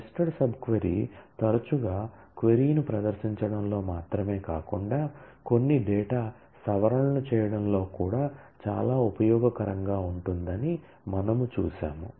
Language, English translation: Telugu, And we have also seen how nested sub query often may be very useful not only in terms of performing a query, but also in terms of performing certain data modifications